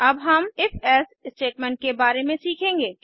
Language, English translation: Hindi, Now, we will learn about if...else statement